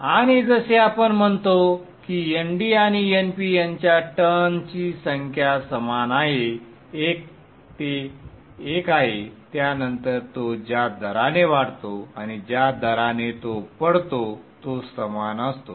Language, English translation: Marathi, And as we are saying that N D and N P are same number of turns, 1 1, then the rate at which it increases in the rate at which falls the same